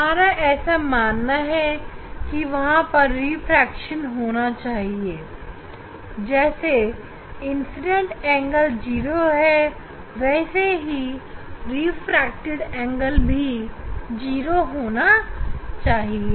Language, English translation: Hindi, We would expect that there will be refraction just this way, because incident angle here is 0